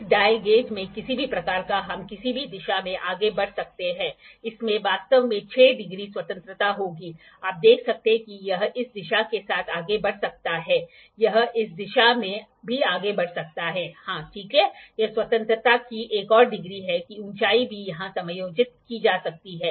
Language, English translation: Hindi, In which dial gauge dial gauge can have any kind of we can move in any direction, it will has actually the 6 degrees of freedom, it can you see it can move with this direction, it can move in this direction, it can also move in this direction yes, ok, this is one more degrees of degree of freedom that is height can also be adjusted here